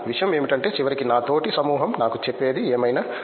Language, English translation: Telugu, But the thing is that ultimately whatever especially what my peer group says to me